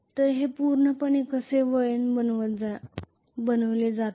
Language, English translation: Marathi, So this is how it is completely the winding is made